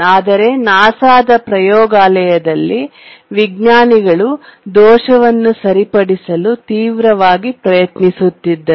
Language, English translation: Kannada, But then in the laboratory in NASA they were desperately trying to fix the bug